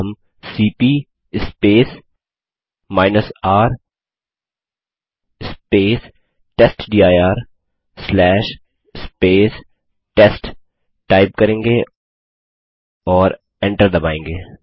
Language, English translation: Hindi, Now we type cp space R space testdir/ test and press enter